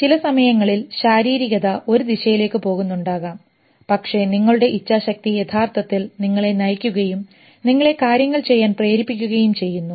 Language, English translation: Malayalam, At times, your physicality may be going in one direction but your will may be actually tidying over and really make you do things